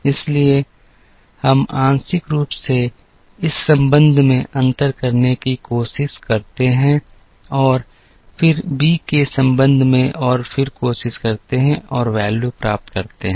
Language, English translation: Hindi, So, we try to partially differentiate this with respect to a and then with respect to b and then try and get the values